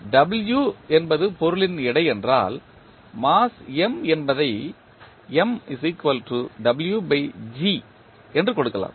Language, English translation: Tamil, If w is the weight of the body then mass M can be given as M is equal to w by g